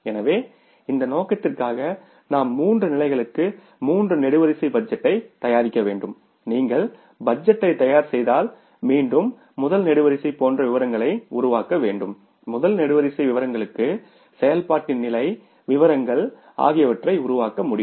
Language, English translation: Tamil, So, for this purpose we have to prepare a three columnar budget for three levels and if you prepare this budget so again we will have to create a statement like first column is for particulars